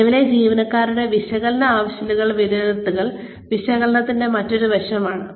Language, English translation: Malayalam, Assessing, current employees training needs, is another aspect of needs analysis